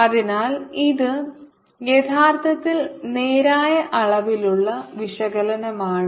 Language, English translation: Malayalam, so this is actually straightforward dimensional analysis